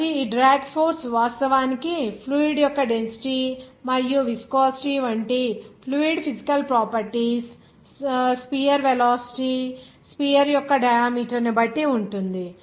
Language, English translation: Telugu, So this drag force actually depending on this diameter of the sphere velocity of the fluid physical properties like density and the viscosity of the fluid